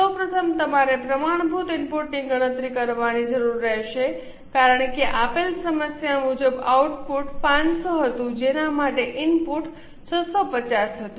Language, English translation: Gujarati, First of all, you will need to calculate the standard input because as per the given problem, the input was, output was 500 for which the input was 650